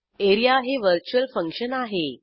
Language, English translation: Marathi, This is our virtual function area